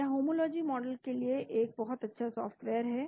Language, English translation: Hindi, It is a very good software for homology modelling